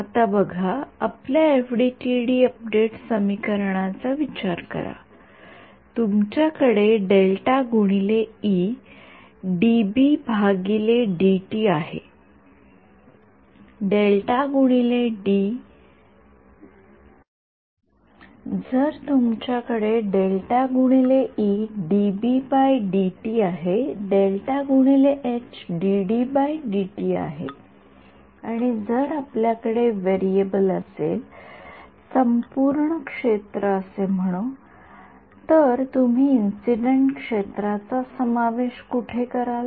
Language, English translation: Marathi, Now look at think of your FDTD update equations, you have curl of E is dB/dt, curl of h is dD/dt and if you have variable is let us say total field, where will you introduce the incident field